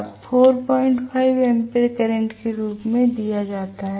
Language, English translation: Hindi, 5 ampere is given as the current